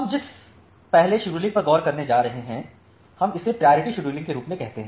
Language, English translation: Hindi, So, the first scheduling that we are going to look into we call it as the priority scheduling